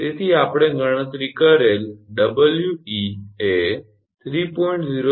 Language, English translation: Gujarati, So, We is equal to 3